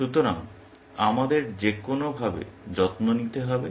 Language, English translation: Bengali, So, we have to take care of that somehow